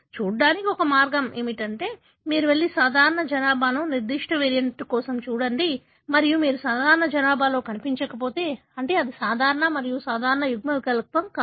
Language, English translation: Telugu, One way to look at is that you go and look for that particular variant in the normal population and if you do not find in normal population that means this is not a common and normal allele